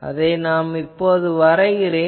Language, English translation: Tamil, So, let me draw again that